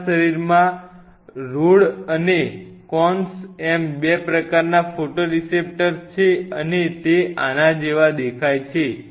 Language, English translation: Gujarati, There are 2 kinds of photoreceptors in our body the Rods and the Cones and they look like this